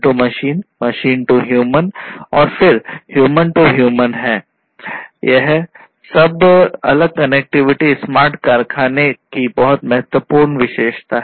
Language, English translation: Hindi, So, all these different connectivities are very important and this is a very important aspect the important characteristic of smart factory